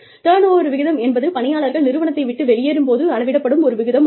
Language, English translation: Tamil, Turnover rate is a measure of the rate, at which, employees leave the firm